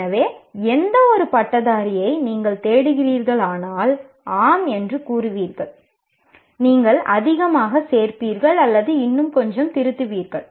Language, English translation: Tamil, So one, any graduate if you look for, you will say, yes, these and possibly you'll add more or you will edit a little more